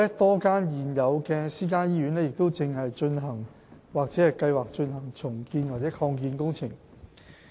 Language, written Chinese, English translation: Cantonese, 多間現有私營醫院亦正進行或計劃進行重建或擴建工程。, Moreover a number of existing private hospitals are undergoing or have plans for redevelopment or expansion